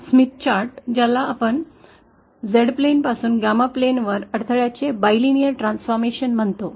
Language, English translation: Marathi, Now the Smith chart is what we call the bilinear transformation of the impedance from the Z plane to the Gamma plane